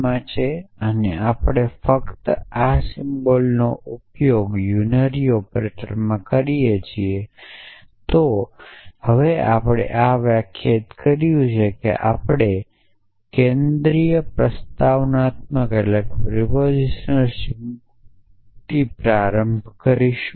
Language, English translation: Gujarati, If alpha belongs to s p and we just use this symbol in a unary operator then so essentially now we have defined we started with the central propositional symbols